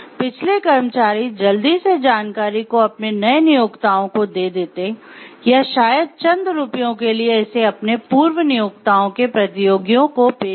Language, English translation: Hindi, Previous employees would quickly give it away to their new employers or perhaps for a price, sell it to competitors of their former employers